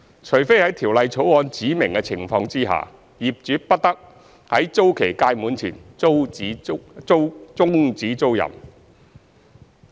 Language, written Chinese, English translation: Cantonese, 除非在《條例草案》指明的情況下，業主不得在租期屆滿前終止租賃。, The landlord may not terminate the tenancy before the expiry of the term except under the circumstances specified in the Bill